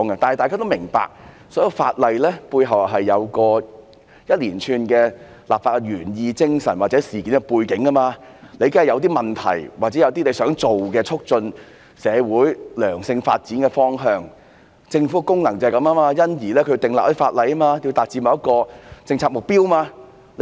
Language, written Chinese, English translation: Cantonese, 大家都明白，所有法例背後當然有一連串的立法原意、精神或事件背景、問題或促進社會良性發展的方向，而政府的功能就是要訂立一些法例來達致某個政策目標。, As we all know there are surely legislative intent spirit background issues and directions for promoting the positive development of society behind each piece of legislation . The function of the Government is to achieve specific policy goals through the enactment of legislation